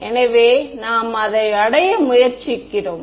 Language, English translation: Tamil, So, we are that is what we are trying to arrive at